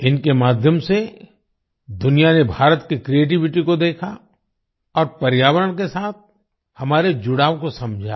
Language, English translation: Hindi, Through them the world saw the creativity of India and understood our bonding with the environment